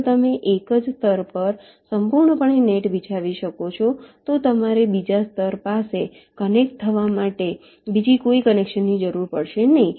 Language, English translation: Gujarati, if you can lay a net entirely on the same layer, you will not need any via connection for connecting to the other layer